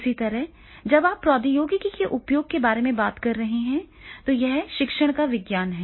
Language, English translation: Hindi, Similarly, then when you talking about the use of technology, so it is a science of teaching